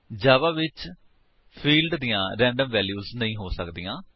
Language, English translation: Punjabi, In Java, the fields cannot have random values